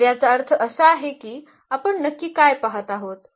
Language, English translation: Marathi, So; that means, what we are looking exactly